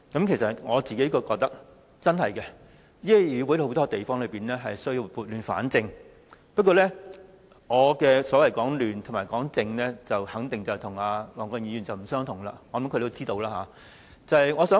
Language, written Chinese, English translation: Cantonese, 其實，我認為這議會確實有很多地方需要撥亂反正，但我所謂的"亂"和"正"，肯定與黃國健議員所說的不同，相信他也知道。, I do think that there are many things about this Council that should be set right . But my rights and wrongs are definitely different from those of Mr WONG Kwok - kins . I believe he understands my meaning